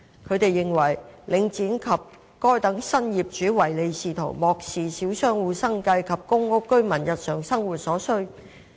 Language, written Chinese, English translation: Cantonese, 他們認為，領展及該等新業主唯利是圖，漠視小商戶生計及公屋居民的日常生活所需。, They opine that Link REIT and the new owners have only profits in mind and disregard the livelihood of small shop operators and the daily needs of the PRH residents